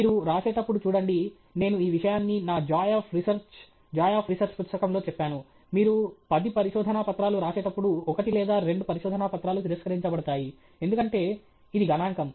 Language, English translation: Telugu, See when you write, I have said this in my Joy of Research, Joy of Research book, when you write ten papers, one or two papers will get rejected, because it is statistical